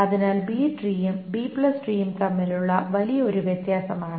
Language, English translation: Malayalam, So that is a big difference between a B tree and a B plus tree